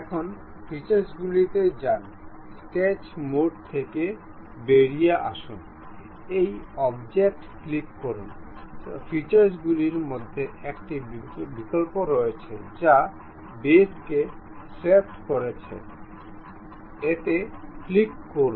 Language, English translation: Bengali, Now, in that go to features, come out of sketch mode, click this object; there is an option in the features swept boss base, click that